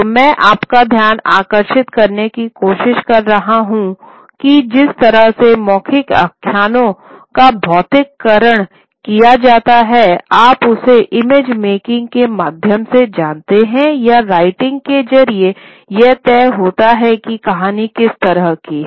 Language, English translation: Hindi, So, what I am trying to draw to your attention is that the way the stories, oral narratives are physicalized, you know, through image making or through writing, determines what kind of narrative structure that particular story will take